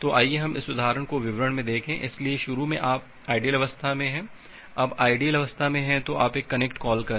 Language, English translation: Hindi, So, let us look in to this example in details, so initially you are in the idle state, now in the idle state so you make a connect call